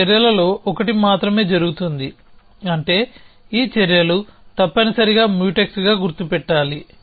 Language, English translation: Telugu, That only one of those actions can happen which means that these actions must be mark as Mutex somehow essentially